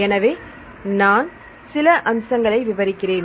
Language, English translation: Tamil, So, I explain few aspects right